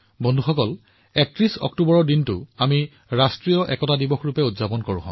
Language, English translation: Assamese, Friends, we celebrate the 31st of October as National Unity Day